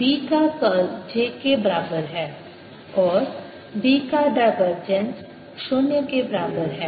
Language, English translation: Hindi, curl of h is equal to j free and curl of b, divergence of b, is equal to zero